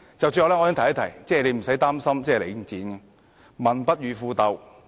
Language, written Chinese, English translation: Cantonese, 最後，我亦想提醒局長無須擔心領展，因為"民不與富鬥"。, Lastly I also wish to remind the Secretary not to worry about Link because people will give way to the rich